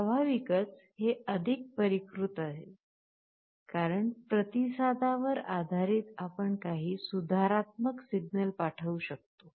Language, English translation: Marathi, Naturally, this is more sophisticated because, based on the feedback you can send some corrective signal